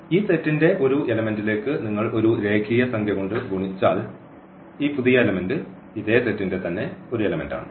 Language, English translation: Malayalam, And if you multiply by a real number to this element of this set this new element is also an element of this set V